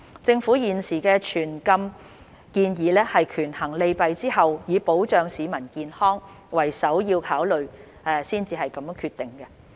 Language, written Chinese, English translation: Cantonese, 政府現時的全禁建議是權衡利弊後，以保障市民健康為首要考慮才決定的。, The Governments current proposal on a full ban is made after weighing the pros and cons with the protection of public health as the primary consideration